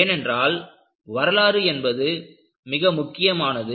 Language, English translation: Tamil, See, history is very important